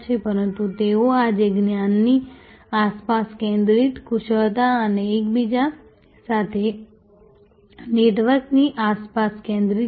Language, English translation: Gujarati, But, they are today centered around expertise centered around knowledge and the network with each other